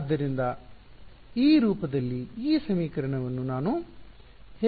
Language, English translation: Kannada, So, how do I get this equation in this form